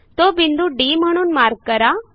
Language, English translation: Marathi, Lets mark this point as D